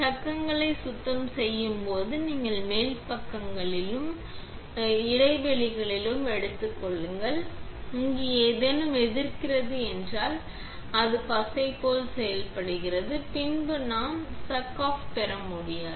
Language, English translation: Tamil, When cleaning the chucks, make sure that you take the top, the sides, of the back side and also the recess because if any resist gets in here it acts as glue and then we cannot get the chuck off